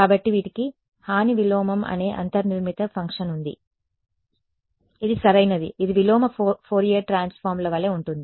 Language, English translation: Telugu, So, these guys have a inbuilt function called harm inverse this is right this is like the inverse Fourier transforms